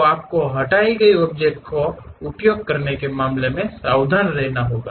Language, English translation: Hindi, So, you have to be careful in terms of using delete object